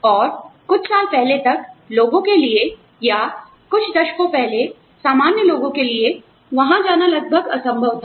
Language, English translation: Hindi, And, till a few years ago, it was almost impossible for people to, or a few decades ago, it was impossible for normal people, to go there